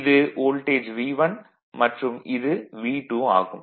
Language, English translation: Tamil, This voltage V 1, this voltage is V 2